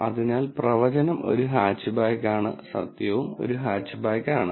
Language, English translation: Malayalam, So, the prediction is hatchback and the truth is also hatchback